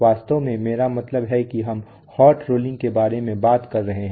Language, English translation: Hindi, In fact that I mean we are talking about hot rolling